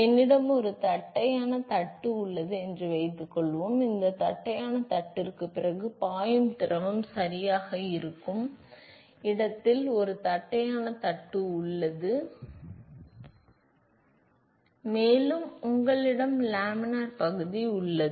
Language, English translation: Tamil, Suppose I have a flat plate, suppose I have a flat plate ok where the fluid which is flowing after this flat plate, and you have some region which is laminar